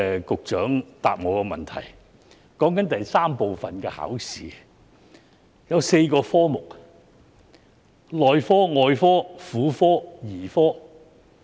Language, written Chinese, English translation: Cantonese, 局長的答覆提到，第三部分的考試共設有4個科目，包括內科、外科、婦產科及兒科。, The Secretary has mentioned in her reply that there are four disciplines under Part III―The Clinical Examination ie . Medicine Surgery Obstetrics and Gynaecology and Paediatrics